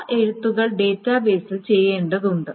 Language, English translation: Malayalam, So those rights are needed to be done on the database